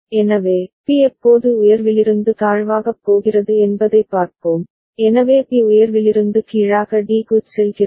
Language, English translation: Tamil, So, let us see when B is going from high to low, so B is going from high to low at d